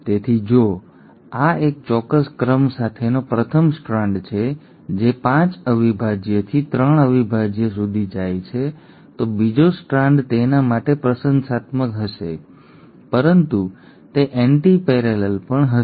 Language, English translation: Gujarati, So if this is the first strand with a certain sequence going 5 prime to 3 prime, the second strand will be complimentary to it but will also be antiparallel